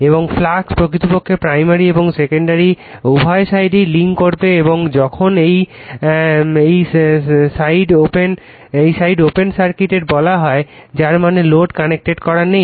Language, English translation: Bengali, And we and the flux we will link actually both the primary as well as the secondary winding when this side is your what you call open circuited right that means load is not connected